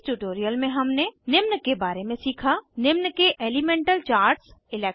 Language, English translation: Hindi, In this tutorial, we have learnt about Elemental Charts of 1